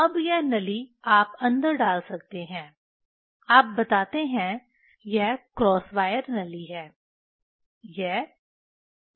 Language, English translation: Hindi, Now, this tube you can put in, you tell, this is cross wire tube